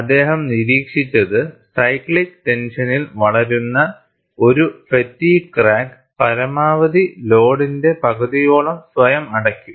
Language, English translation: Malayalam, And what he observed was, a fatigue crack growing under cyclic tension can close on itself at about half the maximum load